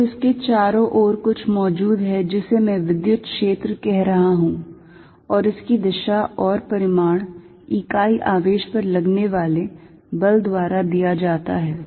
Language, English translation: Hindi, So, this exist something around it that I am calling the electric field and it is direction and magnitude is given by force is applied on a unit charge